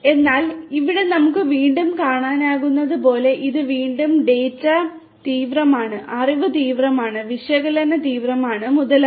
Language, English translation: Malayalam, But again as we can see over here this is again data intensive, knowledge intensive, analytics intensive, and so on